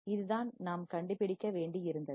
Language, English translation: Tamil, What we have to find